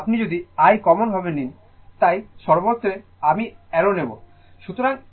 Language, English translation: Bengali, So, if you take I common, so everywhere I will not take I arrow